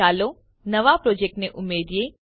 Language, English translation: Gujarati, Now let us add a new project